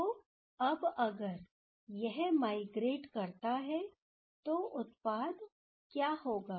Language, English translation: Hindi, So, now if this one migrates, then what will happen, what will be the product